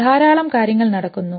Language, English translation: Malayalam, A lot of stuff is going on